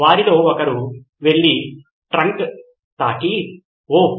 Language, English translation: Telugu, One of them went and touched the trunk and said, Woah